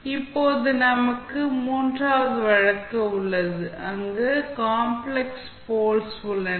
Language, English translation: Tamil, Now, we have a third case, where we have complex poles